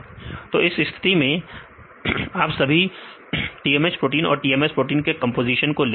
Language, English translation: Hindi, So, in this case you take all the composition of all the TMH protein and TMS proteins